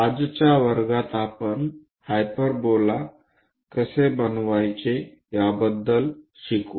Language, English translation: Marathi, In today's class, we will learn about how to construct a hyperbola